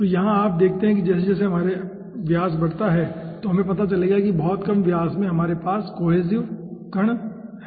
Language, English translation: Hindi, so if you see, as we increase the diameter, okay, then we will be finding out at very lower diameter we are having particles in cohesive form